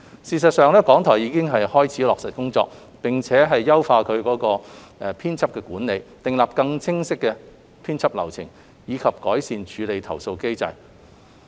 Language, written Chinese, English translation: Cantonese, 事實上，港台已開始落實工作，並且優化其編輯管理，訂立更清晰編輯流程，以及改善處理投訴機制。, RTHK has already commenced the implementation work which includes enhancing editorial management devising a clearer editorial process and improving the complaint handling mechanism